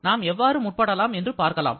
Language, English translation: Tamil, So, let us see how we can proceed